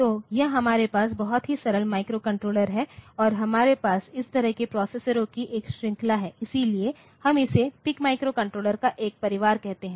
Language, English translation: Hindi, So, this is one of the very simplest microcontrollers that we have and it ranges over a series of such a processer so, we call it a family of this PIC microcontroller